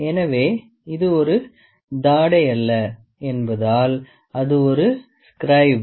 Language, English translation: Tamil, So, because this is not a jaw it is a scribe